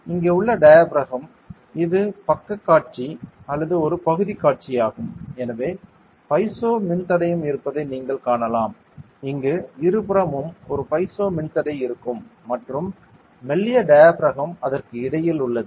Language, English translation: Tamil, And the diaphragm over here this is the side view or a section view so you can see there is a piezo resistor here there will be a piezo resistor here on both sides and the thin diaphragm is between it